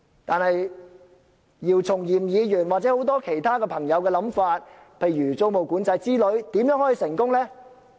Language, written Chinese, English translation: Cantonese, 但是，姚松炎議員或很多其他朋友的構想，例如租務管制之類，如何能成功落實呢？, However how can measures such as tenancy control proposed by Dr YIU Chung - yim and many other colleagues be implemented?